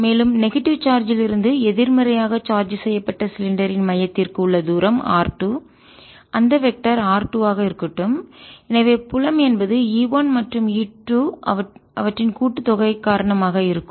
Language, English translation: Tamil, let us take the distance from the centre of the positively charged cylinder to be r one, and therefore this is vector r one, and the distance from the negative charge to the centre of negatively charged cylinder, let that vector be r two, and so field is going to be due to e one and e two, hence their sum